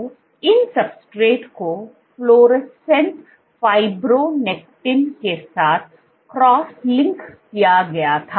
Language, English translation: Hindi, So, these substrates were cross linked with fluorescent fibronectin